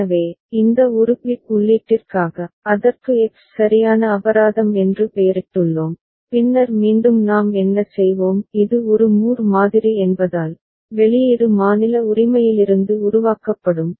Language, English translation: Tamil, So, for this one bit input, we have named it X right fine and then again what we’ll since it is a Moore model, output will be generated from the state right